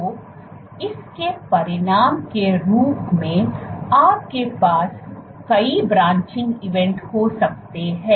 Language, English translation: Hindi, So, as the consequence of this you can have multiple branching events